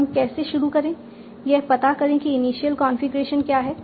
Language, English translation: Hindi, Find out what is the initial configuration